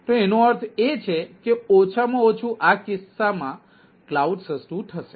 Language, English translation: Gujarati, so that means, at least in this case, cloud will be cheaper, right, ah